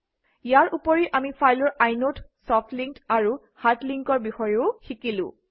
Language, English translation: Assamese, We also learnt about the inode, soft and hard links of a file